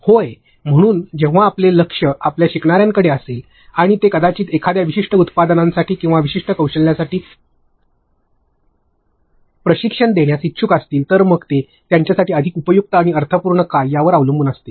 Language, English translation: Marathi, So, when now your focus is on your learners, and who are only interested in maybe training them for a certain product or for a certain skill, so it depends upon what is more useful and meaningful to them